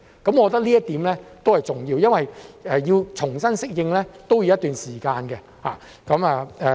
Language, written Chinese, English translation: Cantonese, 我覺得這一點都是重要的，因為我們重新適應都要一段時間。, I think this is important for it takes time for us to adapt to the new convention